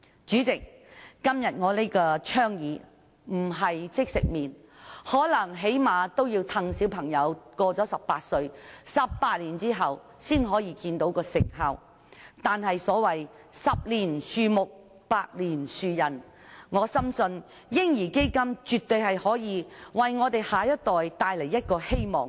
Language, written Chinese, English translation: Cantonese, 主席，今天我這項倡議並非即食麪，最低限度要在18年後，待小朋友年滿18歲，才能看見其成效，但所謂"十年樹木，百年樹人"，我深信"嬰兒基金"絕對可以為我們的下一代帶來希望。, President the initiative proposed by me today is not instant noodle . We have to wait for at least 18 years that is when the children reach the age of 18 before its effectiveness can be seen . As the saying goes it takes 10 years to grow a tree and 100 years to nurture a man